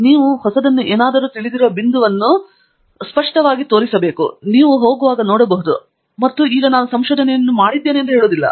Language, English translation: Kannada, So, that pretty much highlights the point that you know there something new, it is not something that you can just go look up and then say now I have done the research